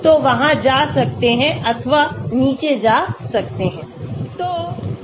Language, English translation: Hindi, So there could be going up or going down